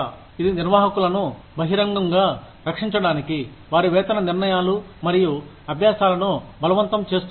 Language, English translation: Telugu, It forces managers to defend, their pay decisions and practices, publicly